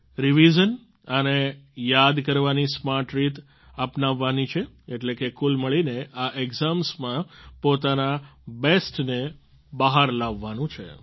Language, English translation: Gujarati, Revision and smart methods of memorization are to be adopted, that is, overall, in these exams, you have to bring out your best